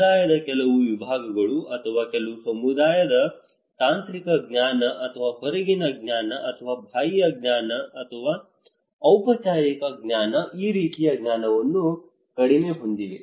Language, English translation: Kannada, Some sections of the community or few communities they have less this kind of knowledge technical knowledge or outside knowledge or external knowledge or formal knowledge